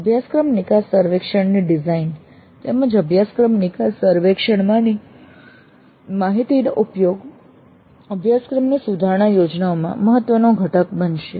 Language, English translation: Gujarati, And the design of the course exit survey as well as the use of data from the course grid survey would form an important component in improvement plans of the course